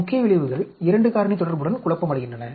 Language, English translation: Tamil, Main effects are confounding with 2 factor interaction